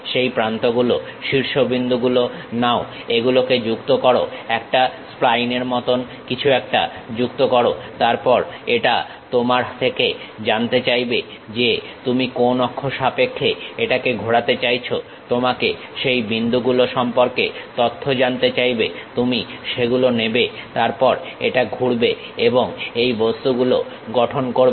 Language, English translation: Bengali, Takes that edges, vertices, connect it, fit something like a spline; then it asks you information about which axis you would like to really rotate, ask you for those points, you pick that; then it revolves and construct these objects